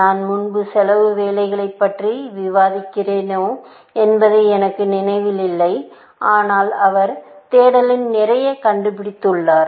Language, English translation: Tamil, I do not remember, whether we have discussed cost work earlier, but he has done a lot of work in search, essentially